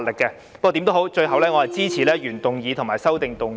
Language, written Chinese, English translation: Cantonese, 不過，無論如何，我支持原議案和修正案。, But no matter what I support the original motion and the amendment